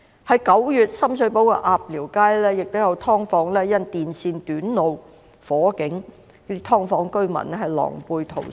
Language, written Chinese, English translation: Cantonese, 在9月，深水埗鴨寮街亦有"劏房"因電線短路而發生火警，"劏房"居民狼狽逃生。, In September a fire broke out in a subdivided unit in Apliu Street Sham Shui Po because of a short circuit . The dwellers in the subdivided flat had to evacuate in panic